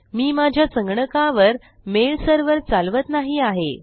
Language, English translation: Marathi, Now I am not actually running a mail server on my computer